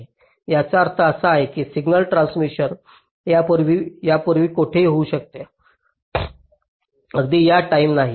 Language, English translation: Marathi, it means that the signal transmission can take place anywhere before this time not exactly at this time, right